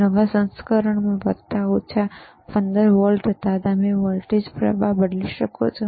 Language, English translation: Gujarati, iIn thea newer version, there was plus minus 15 volts, you can change the voltage you can change the and current